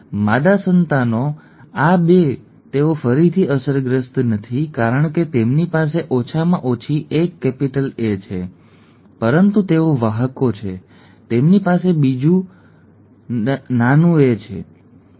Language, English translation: Gujarati, The female offspring, these 2 they are again unaffected because they have at least one capital A, but they are carriers, they have the other small a, right